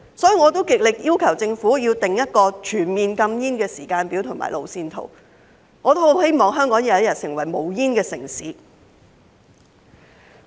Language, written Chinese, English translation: Cantonese, 所以，我極力要求政府訂立一個全面禁煙的時間表和路線圖，我也十分希望香港有一天成為無煙城市。, Therefore I strongly urge the Government to formulate a comprehensive timetable and roadmap for a total smoking ban and I very much hope that one day Hong Kong will become a smoke - free city